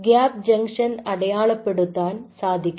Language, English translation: Malayalam, you should be able to label the gap junctions right